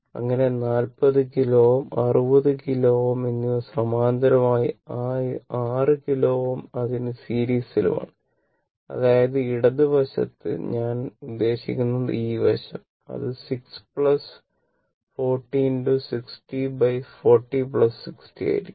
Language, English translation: Malayalam, So, 40 kilo ohm and 60 kilo ohm are in parallel with that 6 kilo ohm is in series; that means, left hand side, I mean this side, it will be your 6 plus 40 into 60 divided by 40 plus 60 right, this side